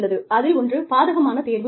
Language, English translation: Tamil, One is adverse selection